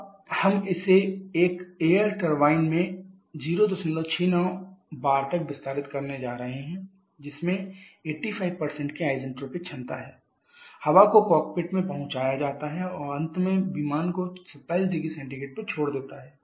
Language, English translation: Hindi, 69 body in an air turbine having isentropic efficiency of 85% the air is delivered to the cockpit and finally leaves the aircraft 27 degree Celsius